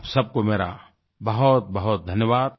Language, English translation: Hindi, I Thank all of you once again